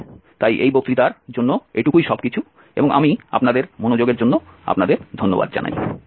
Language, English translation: Bengali, Well so that is all for this lecture and I thank you for your attention